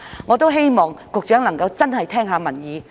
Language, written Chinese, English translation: Cantonese, 我也希望局長能夠真的聆聽民意。, I also hope that the Secretary can truly listen to the views of the people